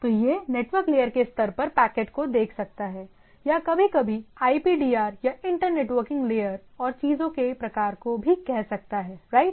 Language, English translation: Hindi, So, it can look at the packets at the level of the network layer or sometimes called IPDR or inter networking layer and type of things right